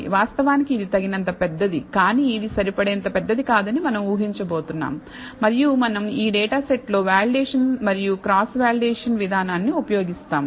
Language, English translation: Telugu, Actually this is sufficiently large, but we are going to assume this is not large enough and we use the validation and cross validation approach on this data set